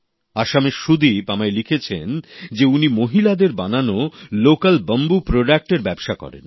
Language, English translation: Bengali, Sudeep from Assam has written to me that he trades in local bamboo products crafted by women